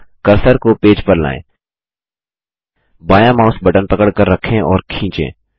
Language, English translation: Hindi, Now bring the cursor to the page gtgt Hold the left mouse button and Drag